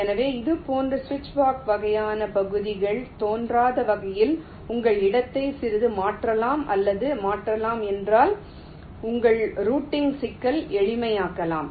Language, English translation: Tamil, so if you can change or modify your placement and little bit in such a way that such switchbox kind of regions do not appear, then your routing problem can become simpler